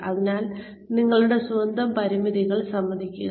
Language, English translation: Malayalam, So, admit your own limitations